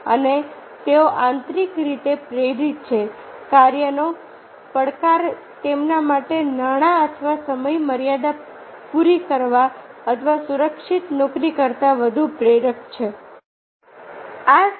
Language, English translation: Gujarati, challenge of the task is more motivating to them than that of money or meeting deadlines or having a secure job